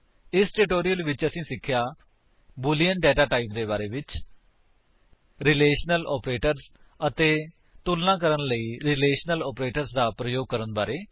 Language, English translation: Punjabi, In this tutorial we have learnt about: the boolean data type, the relational operators and how to use relational operators to compare data